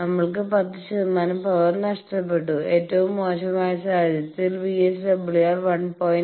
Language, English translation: Malayalam, We have 10 percent power lost and in worst case when we are keeping VSWR to be 1